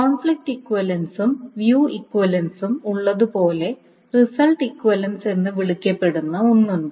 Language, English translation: Malayalam, So just like there is a conflict equivalence and view equivalence, there is something called a result equivalence